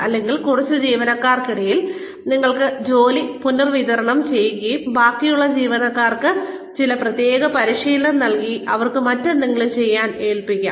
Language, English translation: Malayalam, Or, you could redistribute the work, among a fewer employees, and give the remaining employees, some specialized training and give them, something else to do